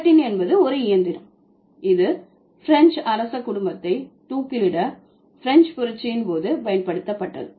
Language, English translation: Tamil, Gilotin is a machine which was used or which was, yeah, which was actually used during the French Revolution for the execution of the royal family, French royal family